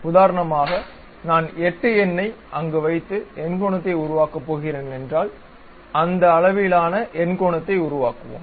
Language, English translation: Tamil, For example, if I am going to construct octagon by keeping 8 number there, we will construct octagon of that size